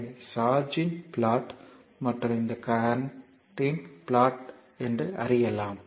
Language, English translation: Tamil, So, a plot of charge and this is the plot of current right